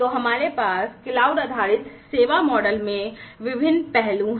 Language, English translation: Hindi, So, then we have in the cloud based service models different aspects